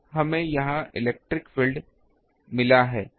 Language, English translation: Hindi, So, this is we have got the electric field